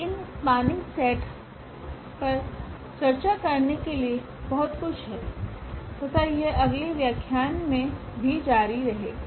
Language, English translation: Hindi, So, there is a lot more to discuss on this spanning set and that will follow in the next lectures